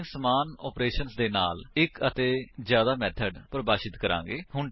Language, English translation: Punjabi, We will define one more method with same operation